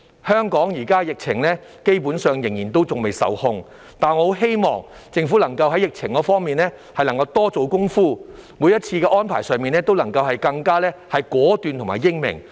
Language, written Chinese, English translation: Cantonese, 香港目前的疫情基本上仍未受控，但我很希望政府能夠在疫情方面多做工夫，每一次的安排都能更加果斷和英明。, The current epidemic situation in Hong Kong has yet to come under control basically but I very much hope that the Government can put more effort in addressing the epidemic and be more decisive and wiser in making each and every arrangement